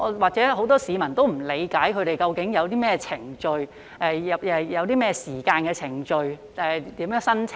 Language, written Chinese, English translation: Cantonese, 或許很多市民也不理解他們究竟有何程序......要多少時間和如何申請。, Perhaps members of the public know very little about the procedures involved or how long they need to make an application